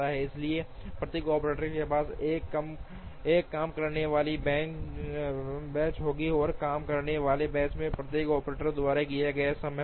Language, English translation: Hindi, So, that each operator would have a work bench and there will be a time taken by each operator in the work bench